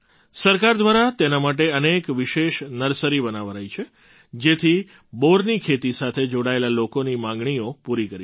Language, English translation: Gujarati, Many special nurseries have been started by the government for this purpose so that the demand of the people associated with the cultivation of Ber can be met